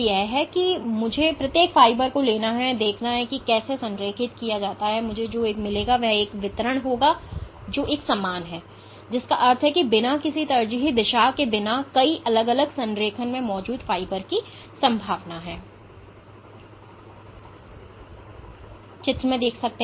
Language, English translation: Hindi, So, if I were to take each fiber and look how it is aligned, what I would find is a distribution which is uniform, which means that there is likelihood of fibers existing in multiple different alignments without any preferential direction ok